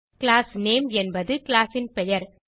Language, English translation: Tamil, Class name is the name of the class